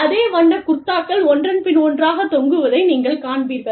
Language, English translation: Tamil, And, you will see the same colored kurtas, hanging one after the other